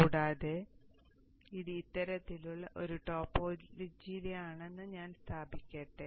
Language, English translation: Malayalam, Further let me also position it such that it is in this kind of a topology